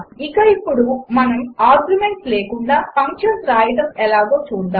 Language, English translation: Telugu, And now let us see how to write functions without arguments